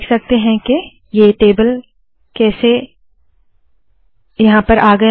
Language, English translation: Hindi, You can see that the table has come